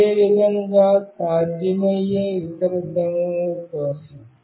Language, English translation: Telugu, Similarly, for the other possible orientations